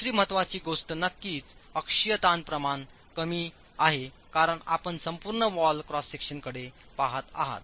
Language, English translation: Marathi, The second important thing is, of course the axial stress ratios are small because we're looking at an entire wall cross section